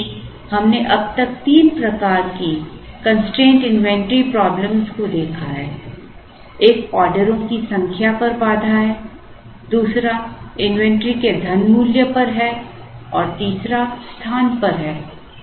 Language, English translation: Hindi, So, we have seen three types of constraint inventory problems till now: one is the constraint on the number of orders, the second is on money value and the third is on space